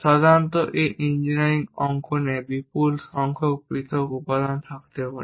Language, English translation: Bengali, Typically these engineering drawings may contains more than 10 Lakh individual components